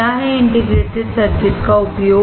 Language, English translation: Hindi, What is the use of integrated circuit